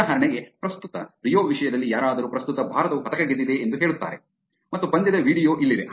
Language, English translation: Kannada, For example, currently in terms of Rio somebody says that currently India has won medal and here is the video of the match